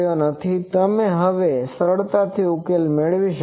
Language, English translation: Gujarati, So, you can easily now solve for getting